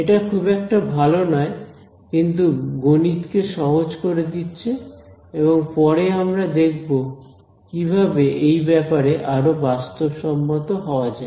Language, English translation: Bengali, It is crude but what it does is it makes a math easy and later we will see how to get a little bit more sophisticated about these things